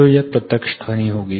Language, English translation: Hindi, So, this will be the direct sound